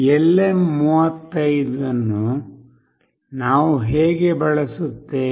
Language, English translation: Kannada, How do we use this LM 35